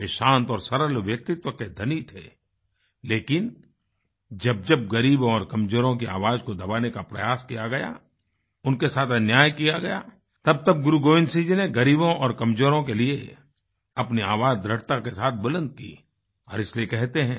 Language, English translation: Hindi, He was bestowed with a quiet and simple personality, but whenever, an attempt was made to suppress the voice of the poor and the weak, or injustice was done to them, then Guru Gobind Singh ji raised his voice firmly for the poor and the weak and therefore it is said